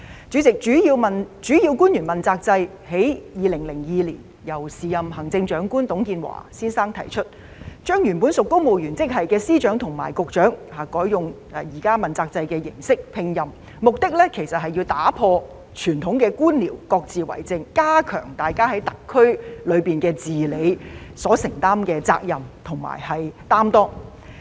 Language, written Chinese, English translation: Cantonese, 主席，主要官員問責制在2002年由時任行政長官董建華先生提出，將原本屬公務員職系的司長和局長改以現時問責制的形式聘任，目的其實是要打破各自為政的傳統官僚作風，加強大家在特區政府中的治理能力、讓他們更能承擔責任，更有擔當。, President the Accountability System for Principal Officials was introduced in 2002 by the then Chief Executive Mr TUNG Chee - hwa . It changed the appointment terms of the Secretaries of Departments and Directors of Bureaux from the original civil service terms to the prevailing terms under the accountability system with the aim of abolishing the bureaucratic tradition of lacking coordination and enhancing the governing capacity of those in the SAR Government to enable them to take up more responsibilities and be more accountable